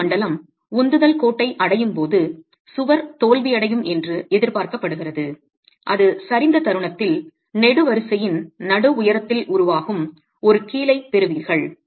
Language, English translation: Tamil, The wall is expected to fail when the crack zone reaches the line of thrust and that's at the moment of collapse itself, you get a hinge that is forming at the mid height of the column